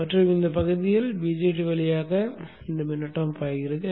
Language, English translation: Tamil, So only during this portion, the current through the BJT flows